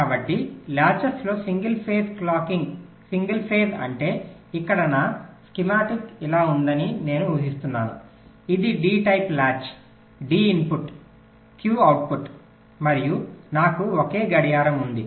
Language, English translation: Telugu, single phase means here i am assuming that my schematic looks like this its a d type latch, d input, ah, q output and i have a single clock